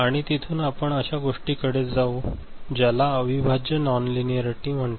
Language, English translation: Marathi, And from there, we go to something which is called integral non linearity ok